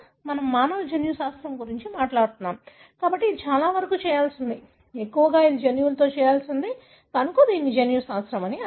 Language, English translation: Telugu, So, since we, we are talking about human genetics, so it is most to do with, mostly it is to do with the genome, therefore it is called as genomics